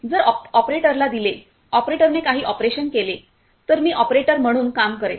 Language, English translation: Marathi, So, if given to the operator if operator will perform some operation I will be acting as an operator